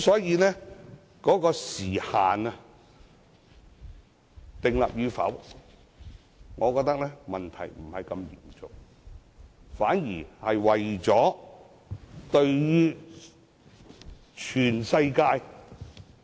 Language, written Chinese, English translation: Cantonese, 因此，是否設立時限，我認為問題不大，反而為了全世界......, For this reason I do not consider it a big issue to discuss the need of a time limit